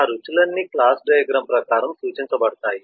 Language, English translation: Telugu, all of those flavours can be represented in terms of the class diagram